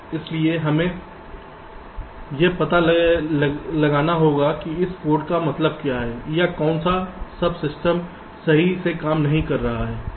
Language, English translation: Hindi, so we will have to decode what that code means, to identify what or which sub system is not working correctly